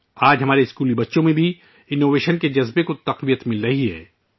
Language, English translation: Urdu, Today the spirit of innovation is being promoted among our school children as well